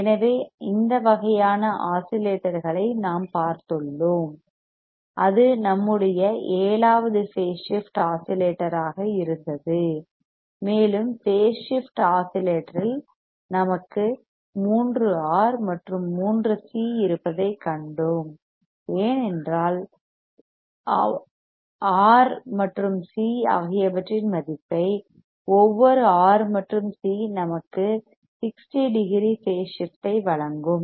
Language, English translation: Tamil, So, we have seen that kind of oscillator and that was our 7that was our phase shift oscillator and we have seen that in the phase shift oscillator we had three R and three C because we have adjusted the value of R and C such that each R and C will give us 60 degrees phase shift